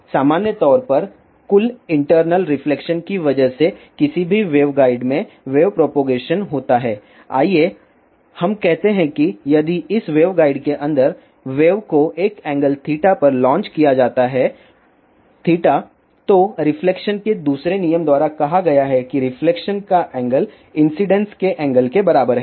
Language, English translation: Hindi, In general, the wave is propagated in any waveguide because of the total internal reflection and let us say, if wave is launched inside, this waveguide at an angle theta, then by that second law of reflection which states that the angle of reflection is equal to angle of incidence